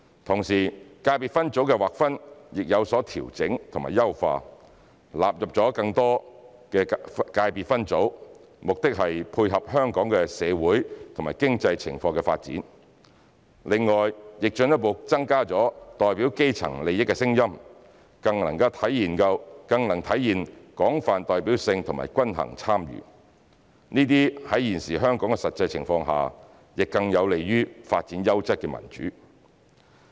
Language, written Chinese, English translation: Cantonese, 同時，界別分組的劃分亦有所調整和優化，納入了更多的界別分組，目的是配合香港的社會和經濟情況的發展，另外亦進一步增加了代表基層利益的聲音，更能體現廣泛代表性和均衡參與，這些在現時香港實際情況下，更有利於發展優質的民主。, At the same time delineation of ECSS has also been adjusted and enhanced to include more subsectors to tie in with the social and economic development of Hong Kong . In addition the voices representing the interests of the grass roots will be further amplified so as to better demonstrate the principles of broad representativeness and balanced participation . This will be conducive to developing quality democracy which accords with the current actual situation in Hong Kong